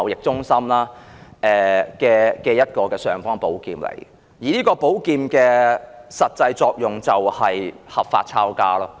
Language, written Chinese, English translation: Cantonese, 這是一把"尚方寶劍"，實際的作用便是合法"抄家"。, This is an imperial sword whose practical function is for lawful confiscation of family properties